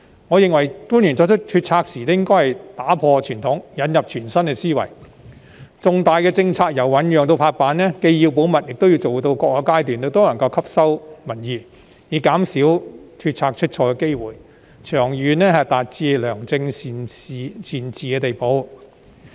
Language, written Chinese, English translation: Cantonese, 我認為官員作出決策時應打破傳統，引入全新思維，重大政策由醞釀至拍板，既要保密，也要做到各個階段都能夠吸納民意，以減少決策出錯的機會，長遠達致良政善治的地步。, In my opinion the Government must break with tradition and adopt a new mindset when making decisions . While major policies must be kept confidential all the way from the formative stage to approval public views have to be consulted in each and every stage so as to minimize the chances of making wrong decisions and achieve benevolent governance in the long run